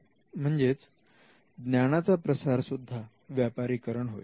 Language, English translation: Marathi, So, dissemination is also commercialization